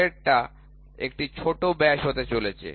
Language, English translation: Bengali, Next one is going to be major diameter